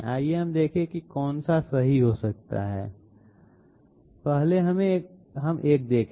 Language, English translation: Hindi, Let us see which one can be can be the correct one, let us see 1st one